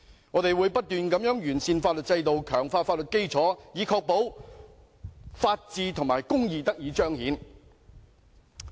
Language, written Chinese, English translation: Cantonese, 我們會不斷完善法律制度，強化法律基建，以確保......公義得以彰顯。, We will continue to improve our legal system and enhance our legal infrastructure to ensure that justice are upheld